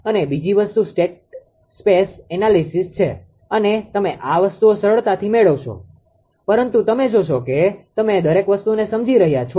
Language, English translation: Gujarati, And second thing is state space analysis and you will find things are easy things are easy, but you will see that ah you are understanding each and everything